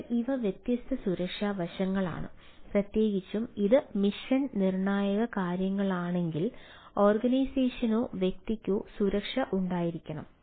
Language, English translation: Malayalam, so these are different security aspects, especially if it is a, if it is a ah mission critical things, then the organization or individual ones, that security should be there